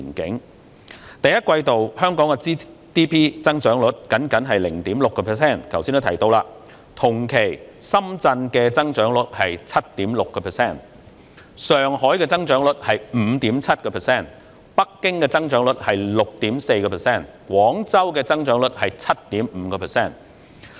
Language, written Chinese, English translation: Cantonese, 2019年第一季度，香港的 GDP 增長率僅為 0.6%， 同期深圳的增長率為 7.6%， 上海的增長率為 5.7%， 北京的增長率為 6.4%， 廣州的增長率為 7.5%。, In the first quarter of 2019 the GDP growth rate of Hong Kong was only 0.6 % . In the corresponding period the growth rate of Shenzhen was 7.6 % ; that of Shanghai 5.7 % ; that of Beijing 6.4 % and that of Guangzhou 7.5 % . In terms of GDP after being surpassed by Shenzhen last year Hong Kong will also be surpassed by Guangzhou in 2019